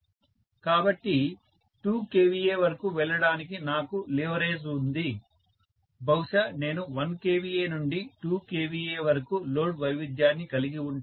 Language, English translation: Telugu, So, I have the leverage to go until 2 kVA, maybe I will have load variation right from 1 kVA to 2 kVA